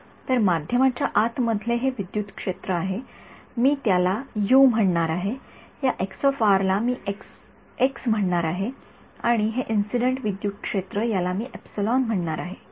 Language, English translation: Marathi, So, this electric field inside the medium, I am going to call it u it this chi r I am going to call it x, and this incident electric field I am going to call it small e ok